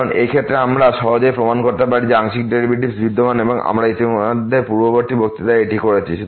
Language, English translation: Bengali, Because in this case we can easily a prove that the partial derivatives exist and we have already done this in previous lectures